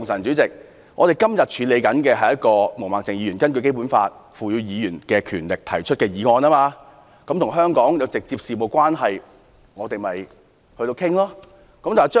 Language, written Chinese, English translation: Cantonese, 本會目前處理的是毛孟靜議員根據《基本法》賦予議員權力動議的議案，與香港事務直接相關，我們必須討論。, At the moment the Council is handling the motion moved by Ms Claudia MO as empowered under the Basic Law . We must hence speak on this motion which is directly about the business of Hong Kong